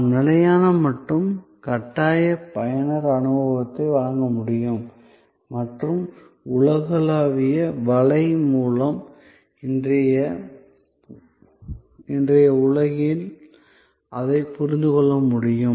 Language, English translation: Tamil, So, that we can provide consistent and compelling user experience and understand that in today's world with the World Wide Web